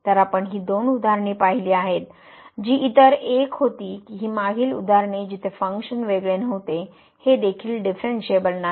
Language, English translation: Marathi, So, we have seen these two examples the other one was this one, the previous example where the function was not differentiable, this is also not differentiable